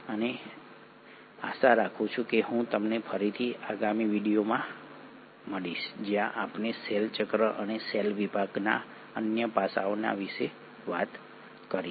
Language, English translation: Gujarati, And hopefully I will see you again in the next video where we will talk about cell cycle, and other aspects of cell division